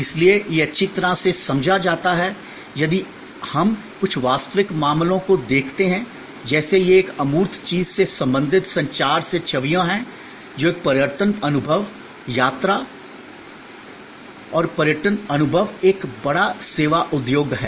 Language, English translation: Hindi, So, it is be well understood if we look at some actual cases, like these are images from communications relating to a quite an intangible thing, which is a tourism experience, travel and tourism experience, a big service industry